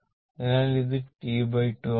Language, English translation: Malayalam, So, this is T by 2